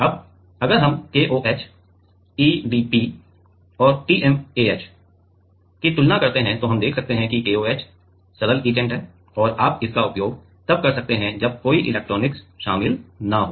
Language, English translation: Hindi, Now, if we compare KOH EDP and TMAH then we can see that KOH simple etchant simple etchant and you can use it when no electronics is involved